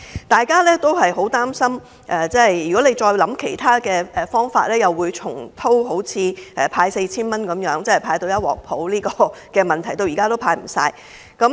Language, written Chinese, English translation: Cantonese, 大家都很擔心，政府若構思其他方法，會重蹈覆轍，畢竟早前派發 4,000 元弄得一團糟，到現在還未完成派發程序。, We are deeply worried that if the Government comes up with some other ideas it will repeat its same mistake . After all the previous exercise of handing out 4,000 is so messy that the process is yet to complete